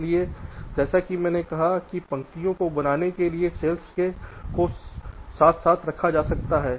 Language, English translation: Hindi, so so, as i said, number of cells can be put side by side, abutted to form rows